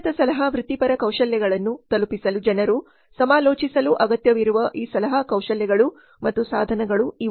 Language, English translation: Kannada, These are some of these consulting skills and tools required by consulting people in order to deliver superior consulting professional skills